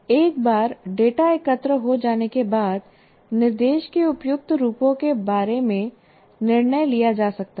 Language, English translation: Hindi, Once the data is collected, a decision about the appropriate forms of instruction then can be made